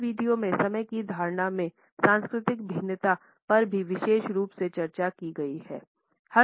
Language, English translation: Hindi, The cultural variations in the perception of time are also discussed in this particular video